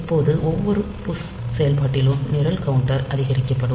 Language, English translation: Tamil, So, when you are first doing the push operation, the program counter will be incremented